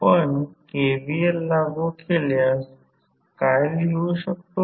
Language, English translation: Marathi, If you apply KVL what you can write